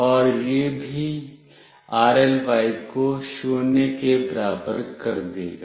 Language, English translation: Hindi, And this will also make “rly” equals to 0